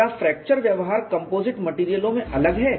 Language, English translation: Hindi, Is fracture behavior different in composite materials